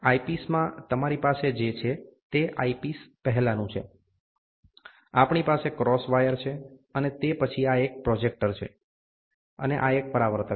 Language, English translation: Gujarati, In the eyepiece, what you have is the before the eyepiece, we have a cross wire, and then this is projector, and this is reflector